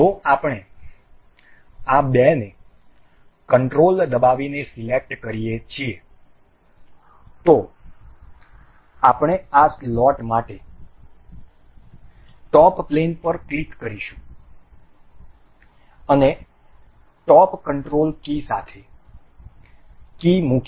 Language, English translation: Gujarati, If we control select these two we will click on top plane for this slot and the top with control keys, key placed